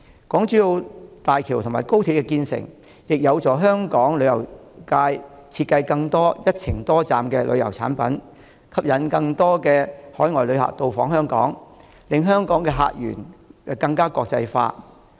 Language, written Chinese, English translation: Cantonese, 港珠澳大橋及高鐵建成，亦有助香港旅遊業界設計更多"一程多站"的旅遊產品，吸引更多海外旅客到訪香港，令香港的客源更國際化。, The completion of HZMB and XRL also facilitates the design of more multi - destination tourism products by the Hong Kong tourism sector to attract more visitors from overseas making the sources of visitors to Hong Kong more internationalized